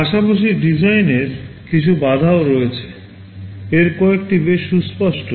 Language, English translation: Bengali, Now, there are some design constraints as well; some of these are pretty obvious